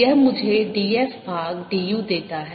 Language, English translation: Hindi, this gives me d f by du itself